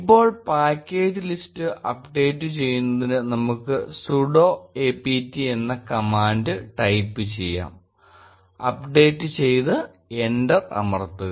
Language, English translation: Malayalam, Now, to update the package list let us type the command sudo apt, get update and press enter